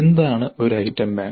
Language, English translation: Malayalam, Now what is an item bank